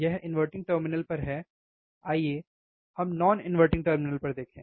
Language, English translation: Hindi, This is at inverting terminal, let us see at non inverting terminal,